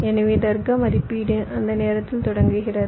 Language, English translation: Tamil, ok, so logic evaluation begin at that time